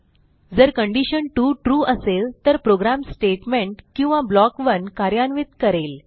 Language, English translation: Marathi, If condition 2 is true, then the program executes Statement or block 1